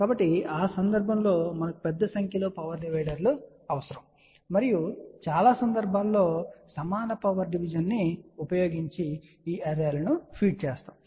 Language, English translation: Telugu, So, in that case we will need large number of power dividers and majority of the time we feed these arrays using equal power division